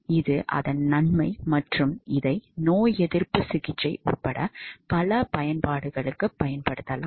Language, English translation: Tamil, So, that is the advantage it can be used for a lot of applications including immunotherapy